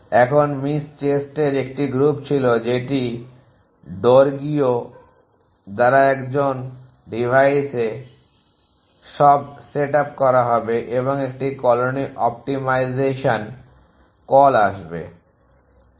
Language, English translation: Bengali, Now, there was is group of miss chest that by DORIGO at an who device is all go set up all will comes call an colony optimization